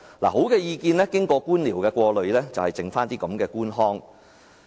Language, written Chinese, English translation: Cantonese, 看，好的意見經過官僚的過濾後，便只餘下這種官腔。, Look only this kind of bureaucratic rhetoric is left of excellent recommendations filtered by bureaucrats